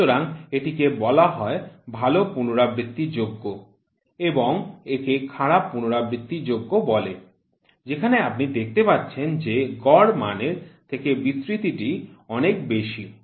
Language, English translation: Bengali, So, this one is called good repeatability and this one is called as poor repeatability where you see the huge spread from the mean is there